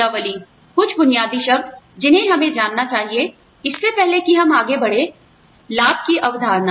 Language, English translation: Hindi, Some basic terms, that we need to know, before we move on to, the concept of benefits